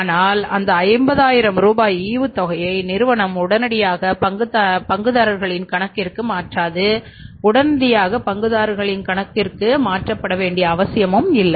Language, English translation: Tamil, But that 50,000 rupees dividend is not immediately transferred to the account of the shareholders